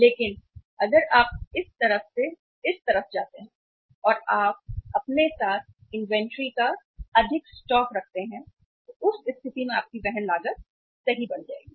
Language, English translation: Hindi, But if you go from this side to this side and you keep more stock of inventory with you in that case your carrying cost will increase right